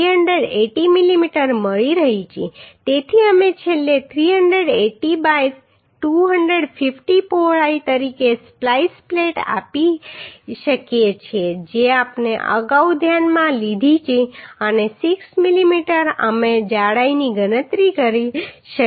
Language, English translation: Gujarati, so we can provide a splice plate finally as 380 by 250 width we have considered earlier and 6 mm we have calculated the thickness